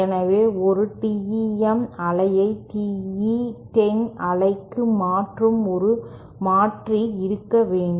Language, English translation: Tamil, So, we have to have a converter which goes from which converts a TEM wave to a TE 10 wave